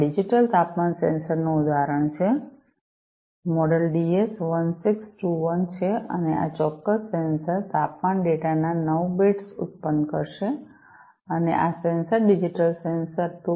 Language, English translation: Gujarati, So, this is an example of a digital temperature sensor, the model is DS1621 and this particular sensor will generate 9 bits of temperature data 9 bits of temperature data this one and this sensor digital sensor operates in the range 2